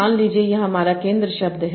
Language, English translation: Hindi, This should be your center word